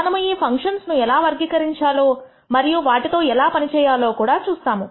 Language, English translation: Telugu, We will also see how to characterize these functions and how to work with them